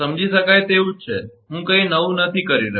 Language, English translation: Gujarati, Understandable nothing is new I am doing